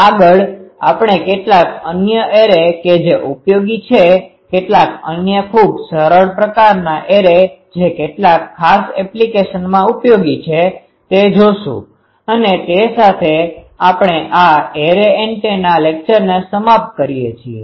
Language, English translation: Gujarati, In the next, will see that some other arrays which are useful, some other very simple type of this arrays which are also useful in some particular applications and with that, we end this array antenna lecture